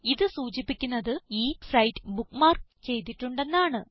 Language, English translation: Malayalam, This indicates that this site has been bookmarked